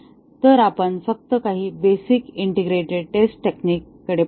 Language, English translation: Marathi, So, we just looked at some very basic integration testing techniques